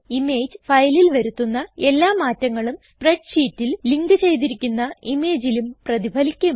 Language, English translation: Malayalam, Any changes made to the image file, Will be reflected in the linked image In the spreadsheet